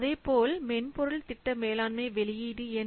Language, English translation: Tamil, So similarly, what is the output of this software project management